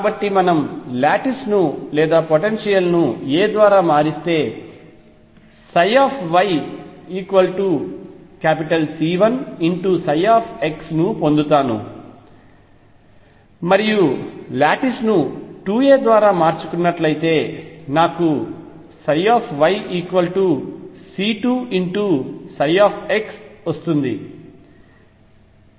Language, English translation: Telugu, So, remember now if we shift the lattice or the potential by a I get psi y equals c 1 psi x and if we shift the lattice by 2 a I get psi y equals c 2 psi x